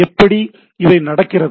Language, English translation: Tamil, How things goes on